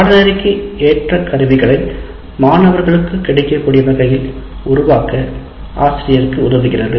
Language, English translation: Tamil, And it enables the teacher to make the curated learning material available to the students